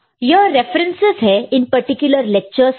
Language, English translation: Hindi, So, these are the references for these particular lectures